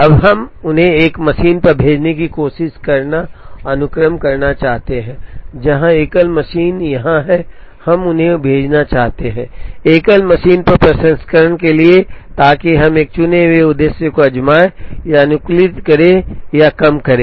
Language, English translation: Hindi, Now, we want to try and sequence them send them on a single machine, where the single machine is here and we want to send them, for processing on the single machine, so that we try and optimize or minimize a chosen objective